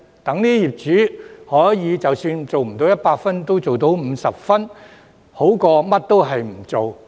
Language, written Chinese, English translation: Cantonese, 這樣，業主即使做不到100分，也做到50分，總比甚麼也不做好。, In that case even if owners cannot achieve 100 % they can still achieve 50 % which is better than nothing